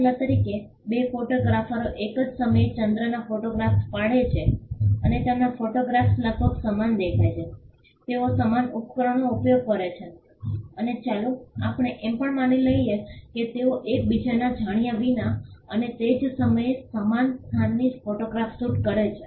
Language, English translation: Gujarati, For instance, two photographers photograph the moon at the same time and their photographs look almost identical they use the same equipment and let us also assume that they shoot the photograph from similar location as well without knowledge of each other and at the same time